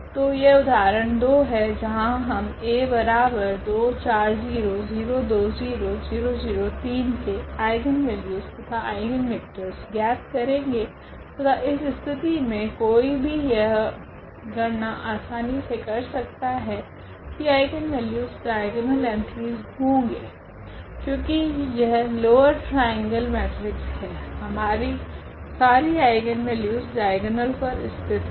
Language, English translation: Hindi, So this example 2, where we determine the eigenvalues and eigenvectors of this A the matrix is given here 2 4 0 0 2 0 0 0 3 and in this case one can compute easily the eigenvalues will be the diagonal entries because it is a lower triangular matrix and for the triangular matrices, we have all the eigenvalues sitting on the diagonals here